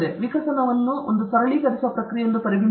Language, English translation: Kannada, Evolution can be treated as an optimizing process